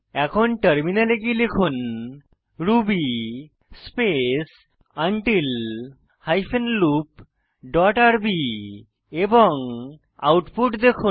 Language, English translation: Bengali, Now open the terminal and type ruby space break hyphen loop dot rb and see the output